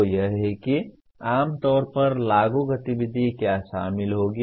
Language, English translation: Hindi, So that is what generally apply activity will involve